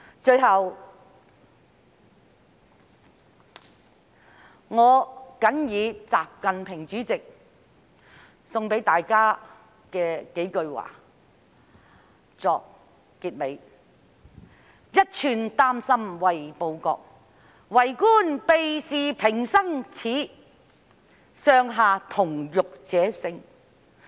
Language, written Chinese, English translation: Cantonese, 最後，我謹以習近平主席的幾句話送給大家，作為結尾：一寸丹心為報國，為官避事平生耻，上下同欲者勝。, I hope the Government will commend their hard work at the right time . Finally I would like to share with Members a few lines from President XI Jinping in conclusion Be loyal in serving the Country be shameful of avoiding official responsibilities and be united by the same spirit to win